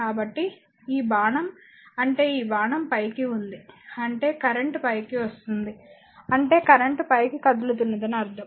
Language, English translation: Telugu, So, this arrow this is your what you call that arrow upward means the current is leaving upward I mean current is moving flowing upward